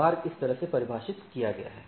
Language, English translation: Hindi, So, the path is defined in this way